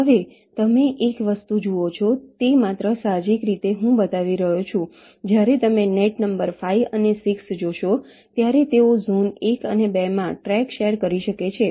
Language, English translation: Gujarati, now one thing you see, just just intuitively i am showing, when you see net number five and six, they can share a track across zones one and two because they don't have anything in common